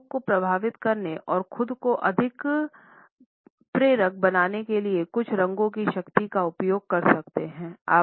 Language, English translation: Hindi, You can use the power of certain colors to influence people and make yourself more persuasive